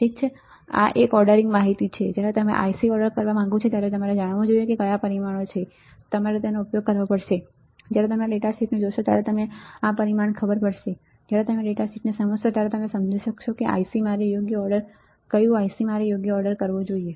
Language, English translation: Gujarati, Alright this is a ordering information, when do when you want to order IC you should know what parameters, you have to use you will know this parameter when you look at the data sheet, when you understand the data sheet then you can understand which IC I should order right